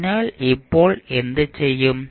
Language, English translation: Malayalam, So, now what we will do